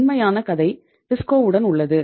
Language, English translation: Tamil, Real story is with TISCO